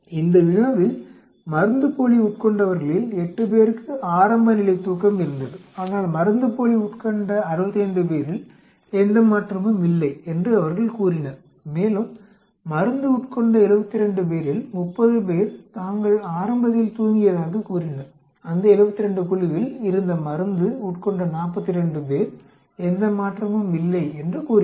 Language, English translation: Tamil, In this problem, what we have is 8 of the people who took placebo had a early sleep but 65 of the people who took placebo they said there is no change and 30 of the 72 people who took the drug said they had slept early, 42 of the people who took the drug in that 72 lot said there is no change